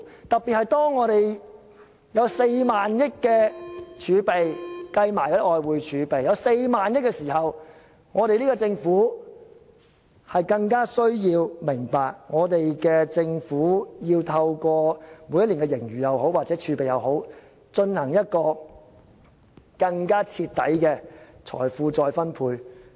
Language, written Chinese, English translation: Cantonese, 當我們連同外匯儲備有4萬億元時，政府更需要明白，政府要透過每年的盈餘或儲備進行更徹底的財富再分配。, When there is 4,000 billion including foreign currency reserves in the coffers it is more important for the Government to understand the need to conduct wealth redistribution more thoroughly with our annual surplus and reserves